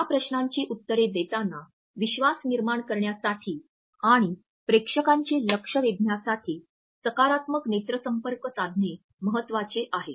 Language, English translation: Marathi, While answering these questions it is important to have a positive eye contact to build trust and engage the attention of the audience